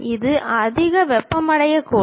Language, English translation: Tamil, It might be overheated